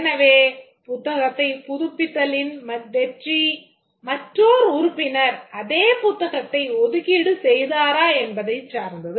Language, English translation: Tamil, So, the success of the renew book depends on whether another member has reserved the same book